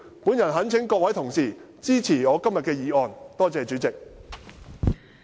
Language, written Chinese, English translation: Cantonese, 我懇請各位同事支持我今天的議案。, I implore Honourable colleagues to support my motion today